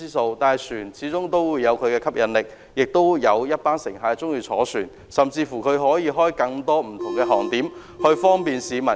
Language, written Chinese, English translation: Cantonese, 然而，船隻始終有其吸引力，亦有一群乘客喜歡乘船，甚至船公司可以開設更多不同航點，方便市民。, However ferry service still has its attraction as a group of passengers prefer taking ferry . Ferry companies can even introduce more destinations for the convenience of the public